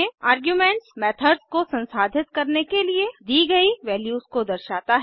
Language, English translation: Hindi, The arguments specify values that are passed to the method, to be processed